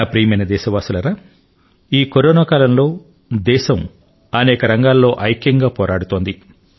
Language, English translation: Telugu, My dear countrymen, during this time period of Corona, the country is fighting on many fronts simultaneously